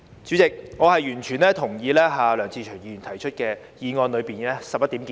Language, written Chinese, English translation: Cantonese, 主席，我完全同意梁志祥議員議案內的11點建議。, President I fully concur with the 11 proposals set out in Mr LEUNG Che - cheungs motion